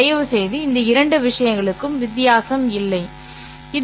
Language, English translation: Tamil, Please note the difference between these two things